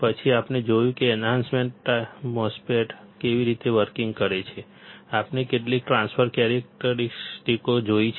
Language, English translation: Gujarati, Then, we have seen how the enhancement MOSFET works; we have seen some transfer characteristics